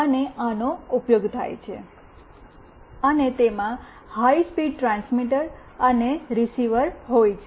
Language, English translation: Gujarati, And this is used and consists of high speed transmitter and receiver